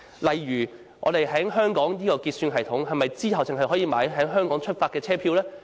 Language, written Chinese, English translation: Cantonese, 例如在香港的結算系統，我們是否只可購買由香港出發的車票呢？, At present for example are we only able to purchase train tickets for departure from Hong Kong through the Hong Kong settlement system?